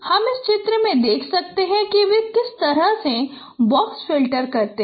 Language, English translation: Hindi, You can see in this picture how the box filters they look like